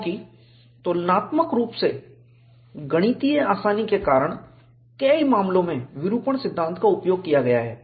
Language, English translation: Hindi, Because of the relative mathematical simplicity, in many cases, the deformation theory has been used